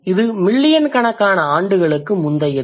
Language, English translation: Tamil, It traces back to millions of years